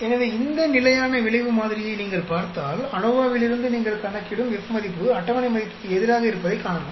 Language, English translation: Tamil, So, if you look at this say fixed effect model, you see that the F value which you calculate from ANOVA as against a table value